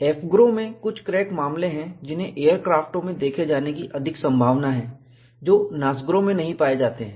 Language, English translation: Hindi, AFGROW has some crack cases, that are more probable to be seen in aircrafts, which are not found in NASGRO